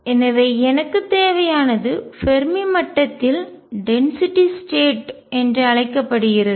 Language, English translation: Tamil, So, what I need is something called the density of states at the Fermi level